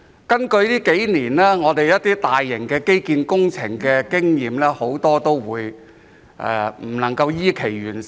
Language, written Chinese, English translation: Cantonese, 根據這數年我們進行一些大型基建工程的經驗，很多工程都未能依期完成。, According to our experience of undertaking major infrastructure projects in the past few years many projects had not been completed on schedule